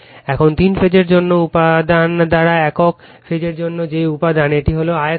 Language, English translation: Bengali, Now, that material for single phase by material for three phase, this is volume